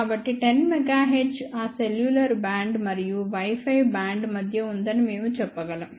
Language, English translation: Telugu, So, 10 megahertz we can say is between that cellular band and the Wi Fi band